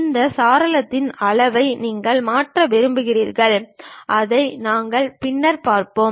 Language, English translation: Tamil, You want to change the size of this window which we will see it later